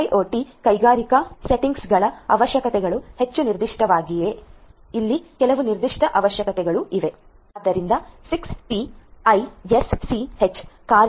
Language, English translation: Kannada, IIoT industrial settings industrial IoT requirements are more specific there are certain specific requirements over here